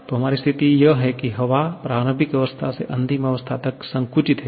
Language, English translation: Hindi, So, our situation is air is compressed from an initial state to a final state